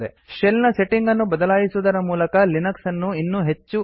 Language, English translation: Kannada, Linux can be highly customized by changing the settings of the shell